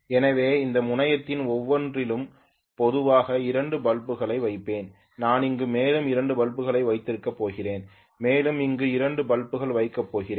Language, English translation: Tamil, So I will put normally 2 bulbs each across each of these terminal I am going to have 2 more bulbs here and I am going to have 2 more bulbs here